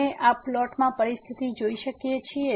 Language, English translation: Gujarati, We can see the situation in this plot